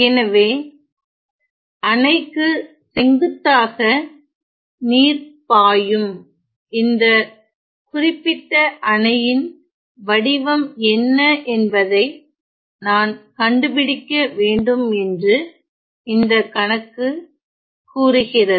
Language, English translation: Tamil, So, the problem says that I have to find what is the shape of this particular dam such that the water is flowing perpendicular to the dam